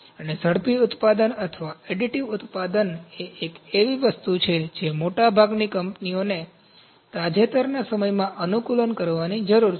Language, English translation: Gujarati, And rapid manufacturing or additive manufacturing is something most of the companies have to adapt in the recent times